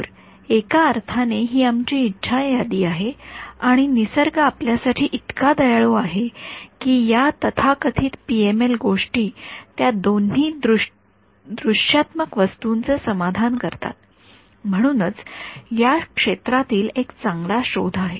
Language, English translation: Marathi, So, in some sense, this is our wish list and nature is kind enough for us that this so called PML things it satisfies both these items of the visualist which is why it was a very good discovery in the field